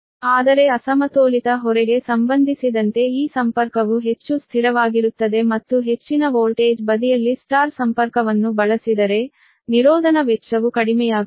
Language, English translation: Kannada, but this connection is more stable with respect to the unbalanced load and if the y connection is used on the high voltage side, insulation cost are reduced